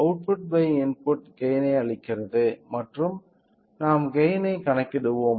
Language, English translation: Tamil, So, the output by input gives the gain and we will calculate the gain